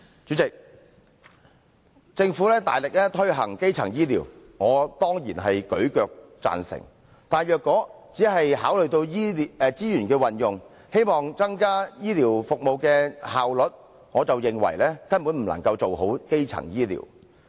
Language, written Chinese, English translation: Cantonese, 主席，政府大力推行基層醫療，我當然舉腳贊成，但如果只是考慮到資源運用，希望增加醫療服務的效率，我則認為根本不能做好基層醫療。, President I of course fully support the vigorous development of primary health care by the Government . But if it wants to enhance the efficiency in health care services only by means of resource allocation I do not think that primary health care can be properly developed